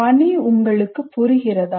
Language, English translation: Tamil, Do you understand the task